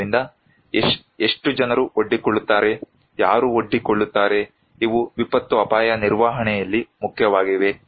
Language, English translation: Kannada, So, how many people are exposed, who are exposed, these are important in disaster risk management